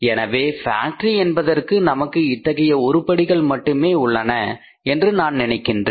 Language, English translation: Tamil, So, it means for the factory I think we have only this much of the items